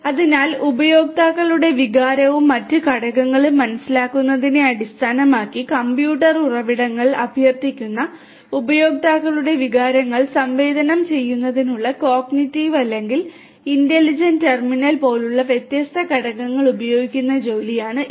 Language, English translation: Malayalam, So, this is the work which uses different components such as the cognitive or the intelligent terminal which is tasked with the sensing of the users emotions and requesting computing resources based on the perception of the emotions of the users and different other components